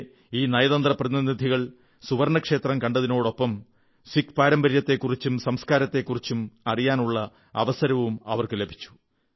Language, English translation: Malayalam, Besides Darshan, all these Ambassadors had the opportunity to know more about Sikh traditions and culture